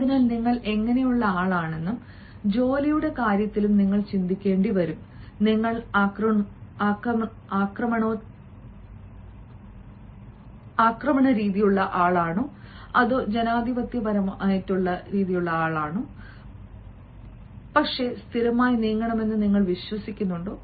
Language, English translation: Malayalam, so what sort of person you are, and again, in terms of work also, you will have to think whether you are aggressive or whether you are democratic, whether you believe in going slowly but steadily